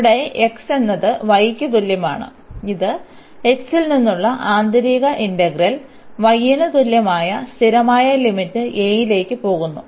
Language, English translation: Malayalam, So, this is the line here x is equal to y and this goes the inner integral from x is equal to y to the constant limit a